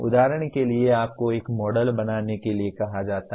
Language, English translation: Hindi, For example you are asked to create a model